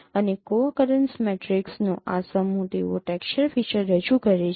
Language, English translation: Gujarati, And this set of co accurance matrices, they represent a texture feature